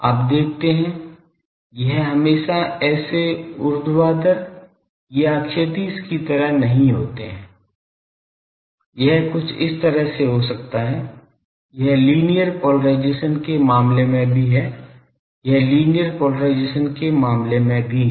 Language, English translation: Hindi, You see it not be always like this vertical or horizontal; it can be something like this, this is also in case of linear polarisation, this is also in case of linear polarisation